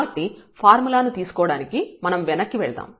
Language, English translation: Telugu, So, when we take the in our formula if we just go back